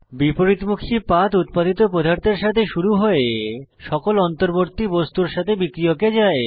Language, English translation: Bengali, Retrosynthetic pathway starts with the product and goes to the reactant along with all the intermediates